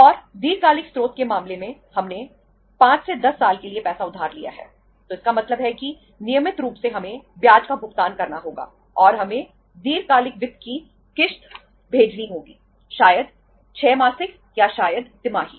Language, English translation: Hindi, And in case of the long term source we have borrowed the money for 5 to 10 years so it means regularly we have to pay the interest and we have to send the installment of the long term finance maybe 6 monthly or maybe uh say quarterly